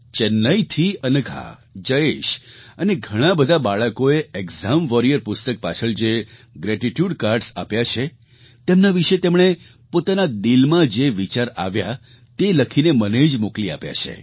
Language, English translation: Gujarati, Anagha, Jayesh and many other children from Chennai have written & posted to me their heartfelt thoughts on the gratitude cards, the post script to the book 'Exam Warriors'